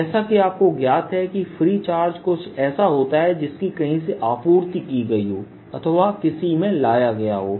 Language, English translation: Hindi, you see, charge free is something that i know, what i have supplied, or something that we bring in